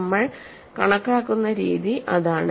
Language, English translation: Malayalam, That is the way we calculate it